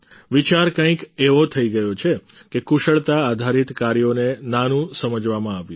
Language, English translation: Gujarati, The thinking became such that skill based tasks were considered inferior